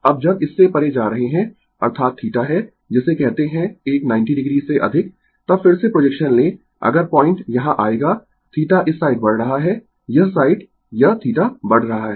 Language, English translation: Hindi, Now now when you are going beyond this, that is theta you are what you call more than your a 90 degree, then again you take the projection, if the point will come here theta is increasing this side this theta is increasing